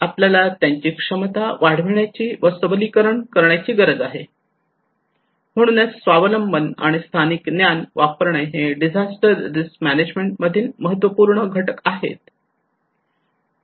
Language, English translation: Marathi, We need to enhance, empower their capacity so self reliance and using a local knowledge are critical component in disaster risk management